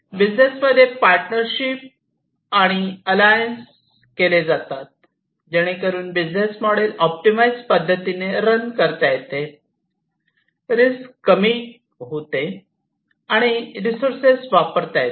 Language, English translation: Marathi, And these partnerships and these alliances will be created to optimize the business models, to reduce the risks, and to acquire the resources